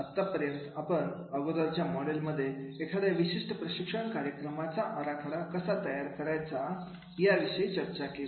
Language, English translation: Marathi, So, far we have discussed about in earlier model about how to design a particular training programs